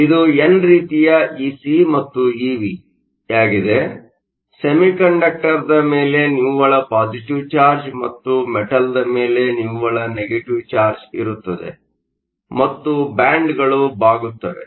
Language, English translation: Kannada, This is n type Ec and EV, there is a net positive charge on the semiconductor and net negative charge on the metal and the bands will bend up